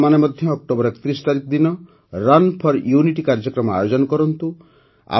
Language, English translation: Odia, You too should organize the Run for Unity Programs on the 31st of October